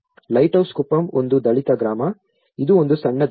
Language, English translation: Kannada, Lighthouse Kuppam is a Dalit village, its a small island